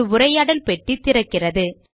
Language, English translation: Tamil, A dialog window opens